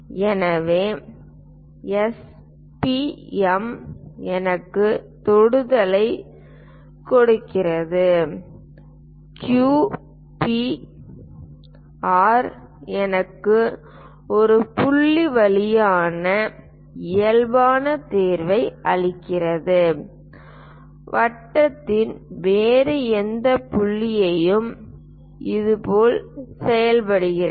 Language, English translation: Tamil, So, S, P, M gives me tangent; Q, P, R gives me normal passing through point P, any other point on the circle also it works in the similar way